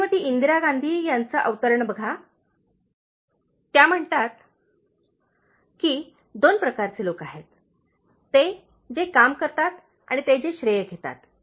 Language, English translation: Marathi, Look at the famous quotes from Shrimati Indra Gandhi, so, she says that there are two kinds of people, those who do the work and those who take the credit